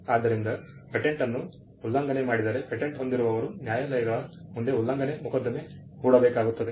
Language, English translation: Kannada, So, if there is an infringement of a patent, the patent holder will have to file an infringement suit before the courts